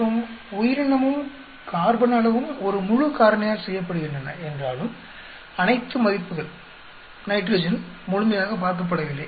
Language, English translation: Tamil, And although the organism and the carbon amounts are being done in a full factorial that means, all the values, nitrogen is not completely being looked at